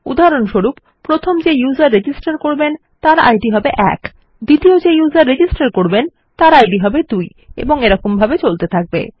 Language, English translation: Bengali, So, for example, the first user who registers will have an id of one, the second user who registers will have an id of two and so on and so forth